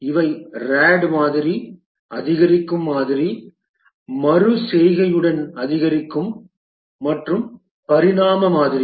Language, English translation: Tamil, These were the rad model, the incremental model, incremental with iteration and the evolutionary model